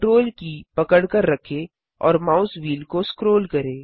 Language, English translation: Hindi, Hold CTRL and scroll the mouse wheel